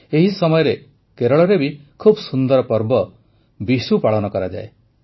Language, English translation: Odia, At the same time, Kerala also celebrates the beautiful festival of Vishu